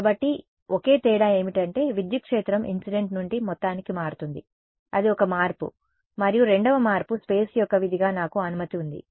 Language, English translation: Telugu, So, the only difference is that the electric field changes from incident to total that is the one change and the second change is I have permittivity as a function of space